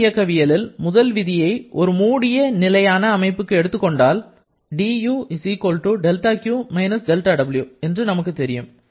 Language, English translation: Tamil, If we apply the first law of thermodynamics for a closed system, closed stationary system we know that du=del Q del W